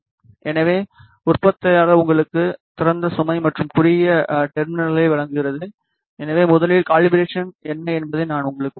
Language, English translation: Tamil, So, the manufacturer provides you open load and short terminals so firstly, I will tell you what is the calibration